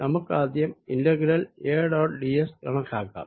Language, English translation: Malayalam, let us first calculate the integral a dot d s